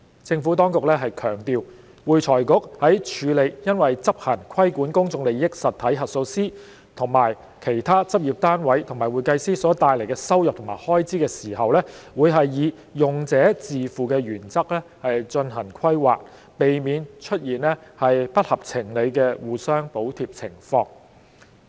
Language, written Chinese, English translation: Cantonese, 政府當局強調，會財局在處理因執行規管公眾利益實體核數師及其他執業單位和會計師所帶來的收入及開支時，會以用者自付原則進行規劃，避免出現不合情理的互相補貼情況。, The Administration has stressed that the income and expenditure for AFRCs regulatory work in respect of PIE auditors and other practice units and CPAs will be planned on the user - pay principle to avoid unreasonable cross - subsidization